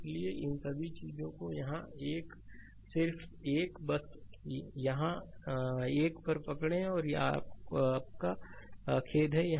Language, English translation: Hindi, So, all these things I think here 1, just 1, just hold on I think here 1, this one your a sorry